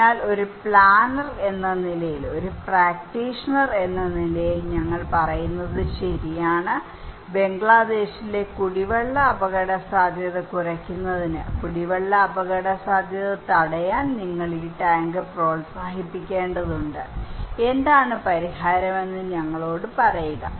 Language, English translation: Malayalam, So, as a planner, as a practitioner, we are saying that okay, you need to promote this tank to stop drinking water risk to reduce drinking water risk in Bangladesh, tell us what is the solution